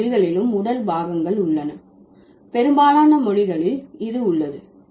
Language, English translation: Tamil, All languages have body parts, most languages have this